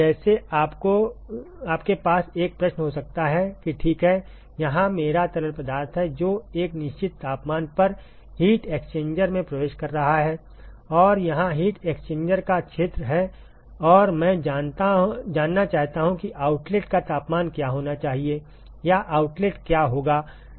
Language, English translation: Hindi, Like you could have a question that ok: here is my fluid, which is entering the heat exchanger at a certain temperature and here is the area of heat exchanger and I want to know, what should be the outlet temperature or what will be the outlet temperature